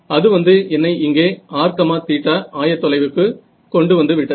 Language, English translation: Tamil, So, that brought me over here in r theta coordinates